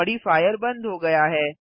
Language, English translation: Hindi, The modifier is removed